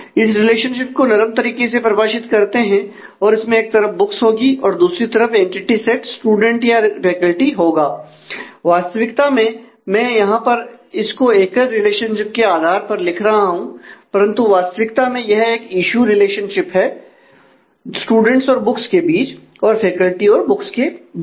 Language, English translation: Hindi, So, we loosely define this relationship on one side there has to be the books and the other side would be the involved entity set would be either student or faculty so, actually though I am just noting it here as a as a single relationship, but actually there is a relationship of issue between students and books and faculty and books